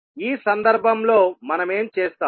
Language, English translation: Telugu, So in this case, what we will do